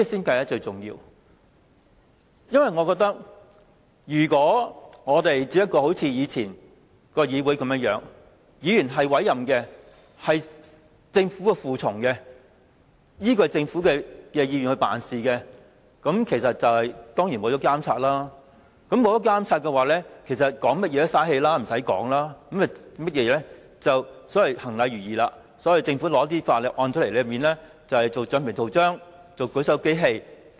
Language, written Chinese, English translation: Cantonese, 我認為，如果我們只像以往的議會般，議員只是政府委任的隨從，依賴政府意願辦事，當然會失去監察作用，那麼談甚麼也是浪費氣力，無須再說的，只須行禮如儀，當政府提交法案後，大家當橡皮圖章和舉手機器便行了。, My opinion is that if Members act like those in the past who were servants appointed by the Government and followed the will of the Government in providing their service then this Council will certainly lose its monitoring function . Whatever we say is futile and we had better shut up . We are just doing our rituals of rubber stamping government bills like a voting machine